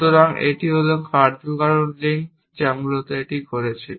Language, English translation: Bengali, So, this is the causal links which is doing that essentially